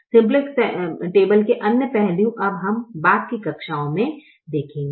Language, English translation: Hindi, other aspects of the simplex table we will now see in subsequent classes